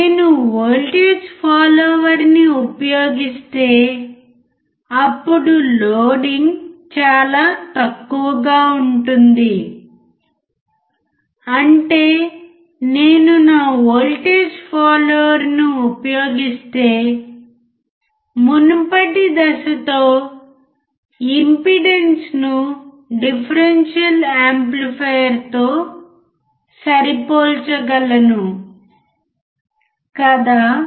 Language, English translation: Telugu, What that if I use voltage follower, then the loading would be negligible; that means that, I can match the impedance with the previous stage to the differential amplifier if I use my voltage followers, alright